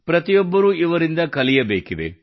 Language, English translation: Kannada, Everyone should learn from her